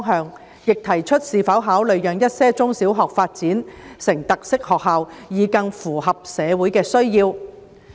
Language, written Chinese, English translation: Cantonese, 事務委員會並提出是否考慮讓一些中小學發展成特色學校，以更符合社會的需要。, In addition the Panel raised that whether consideration should be given to allowing some primary and secondary schools to develop into characteristic schools so as to better meet the needs of society